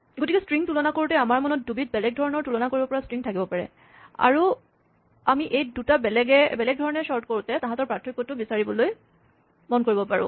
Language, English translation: Assamese, So, when comparing strings, we may have 2 different ways of comparing strings in mind, and we might want to check the difference, when we sort by these 2 different ways